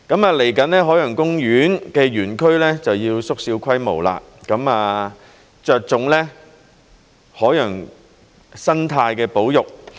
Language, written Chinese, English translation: Cantonese, 未來海洋公園的園區會縮小規模，着重海洋生態的保育。, The area of OP will be scaled down in the future with its focus placed on the conservation of marine ecology